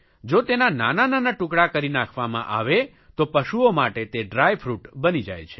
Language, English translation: Gujarati, Not only this, if they are chopped into small bits, they can act as a dry fruit for cattle